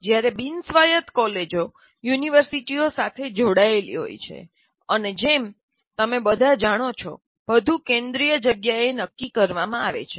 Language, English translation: Gujarati, Whereas non autonomous colleges are affiliated to universities and as you all know, everything is decided by the in a central place